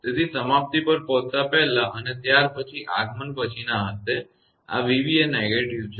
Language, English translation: Gujarati, So, before arrival at the termination and then after arrival; there will be no, this v b is negative